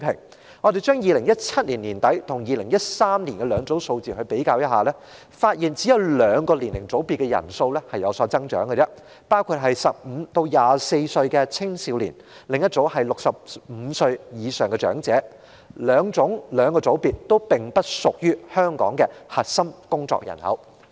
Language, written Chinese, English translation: Cantonese, 當我們拿2017年年底的人數跟2013年的兩組數字比較，便發現只有兩個年齡組別的人數有所增長，一組是15歲至24歲的青少年，另一組是65歲以上的長者，兩個組別均不屬於香港的核心工作人口。, In comparing the figure at the end of 2017 and that of 2013 it is found that only two age groups showed growth in the number of Hong Kong residents one being the age group of 15 to 24 and the other being 65 or above . Neither group is however the core of the working population in Hong Kong